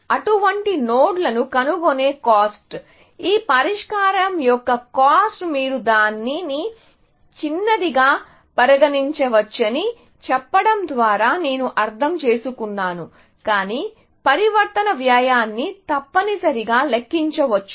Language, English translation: Telugu, So, that is what I mean by saying that the cost of finding such nodes, the cost of this solution is; you can consider it to be small, but that cost of transformation can be counted essentially